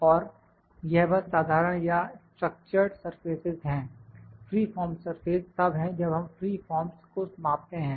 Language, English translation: Hindi, And, this is just the general or the structured surfaces, free form surface are when we just measure the free forms